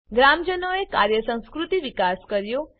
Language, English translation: Gujarati, Villagers developed a work culture